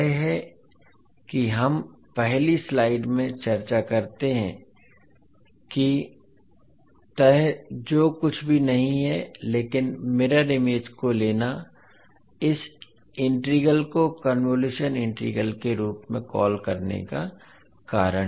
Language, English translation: Hindi, So this is what we discuss in the first slide that folding that is nothing but taking the mirror image is the reason of calling this particular integral as convolution integral